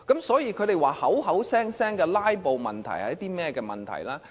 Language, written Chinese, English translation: Cantonese, 所以，他們聲稱的"拉布"問題是甚麼問題呢？, Hence when they claim the filibuster is a problem what are the actual problems?